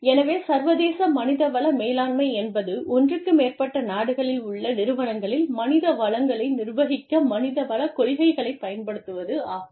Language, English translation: Tamil, So, international human resource management, as the name indicates, is the application of human resource principles, to the management of human resources, in organizations, that are in, more than one country